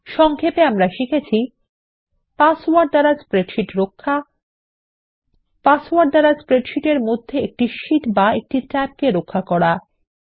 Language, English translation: Bengali, In this tutorial we will learn how to: Password protect a spreadsheet Password protect a single sheet or a tab in a spreadsheet